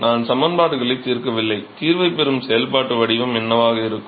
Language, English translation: Tamil, I am not solving the equations, what will be the functional form which will get the solution